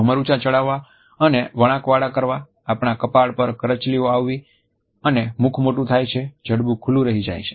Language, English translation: Gujarati, Eyebrows are high and curved, on our forehead wrinkles may be formed and a wide open mouth is also formed by a dropped jaw